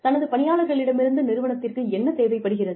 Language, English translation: Tamil, What is it that, the company needs, from its employees